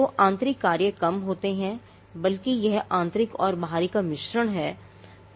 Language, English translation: Hindi, So, the internal functions are little and rather it is a mix of internal and external